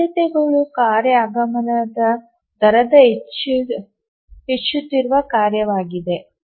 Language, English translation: Kannada, So the priority is a increasing function of the task arrival rate